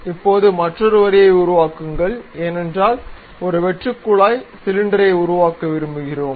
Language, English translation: Tamil, Now, construct another line, because we would like to have a hollow cylinder tube construct that